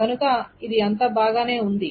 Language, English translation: Telugu, So it seems to be all fine